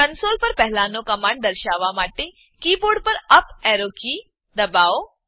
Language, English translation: Gujarati, To display the previous command on the console, press up arrow key on the keyboard